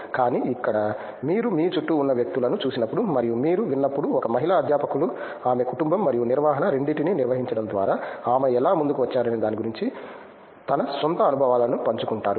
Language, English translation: Telugu, But here, when you see people all around you and when you hear a women faculties share her own experiences of how she pushed through managing both family and a research you get inspired